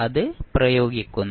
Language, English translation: Malayalam, So, we apply that